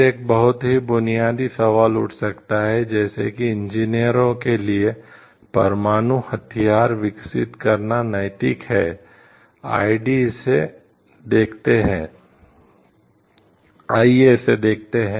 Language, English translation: Hindi, Then a very basic question may arise like is it ethical for the engineers to continue developing nuclear weapons, let us see into it